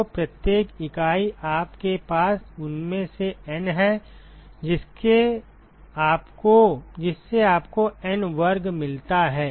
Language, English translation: Hindi, So, every entity you have N of them so that gives you N square